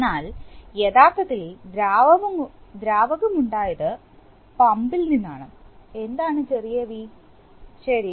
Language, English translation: Malayalam, But the, actually the fluid drawn is from the pump is small V right